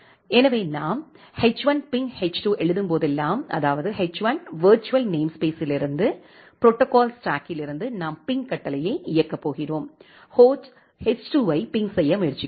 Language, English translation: Tamil, So, whenever we write h1 ping h2; that means, from the virtual namespace of h1, the protocol stack which is there the actual protocol stack which is there from there we are going to execute the ping command and we are trying to ping the host h2